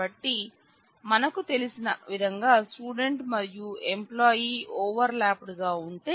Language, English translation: Telugu, So, if we have as we know student and employee overlapped